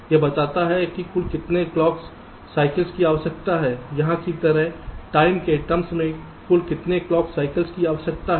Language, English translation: Hindi, it tells you how many total number of clock cycles are required, like here, in terms of the time total